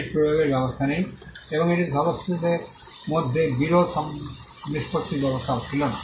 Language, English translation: Bengali, It did not have enforcement mechanism; and it also did not have dispute settlement mechanism between the members